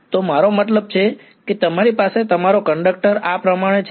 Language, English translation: Gujarati, So, I mean you have your conductor like this ok